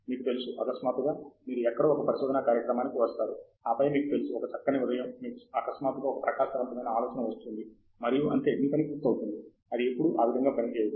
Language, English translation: Telugu, It is not like, you know, you come in here and suddenly you come in to a research program somewhere, and then, you know, one fine morning, you suddenly get a bright idea and that’s it, your work is done; it never works that way